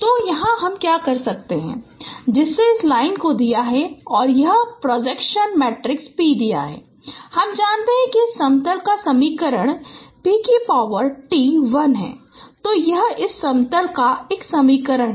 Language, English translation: Hindi, So we can what we can do here that now given this line and given this projection matrix P we know that equation of this plane is p transpose L